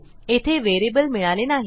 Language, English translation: Marathi, We have got no variable here